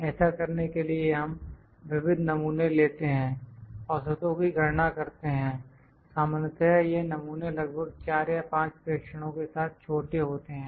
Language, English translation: Hindi, To do this we take multiple samples, compute the means, usually these samples are small with about 4 or 5 observations